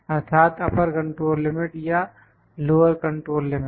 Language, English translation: Hindi, That is, the upper control limit or lower control limit